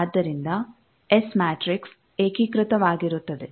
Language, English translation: Kannada, So, the s matrix will be unitary